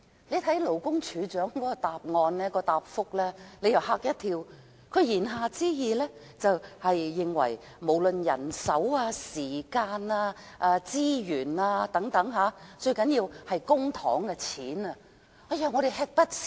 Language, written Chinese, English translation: Cantonese, 我看到勞工處處長的答覆，真的嚇了一跳，他言下之意，就是不論在人手、時間、資源等方面——最重要是公帑——他們均會吃不消。, When I saw the reply of the Commissioner for Labour I was shocked . He implies in his reply that they cannot cope with such changes in terms of manpower time and resources where public money is the primary concern